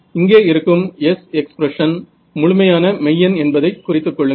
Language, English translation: Tamil, The other thing to note over here is this S expressional over here its purely real